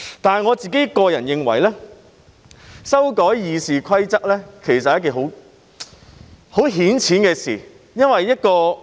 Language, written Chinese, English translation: Cantonese, 但是，我認為修改《議事規則》是很顯淺的事。, However I hold that amending RoP is a matter easily understood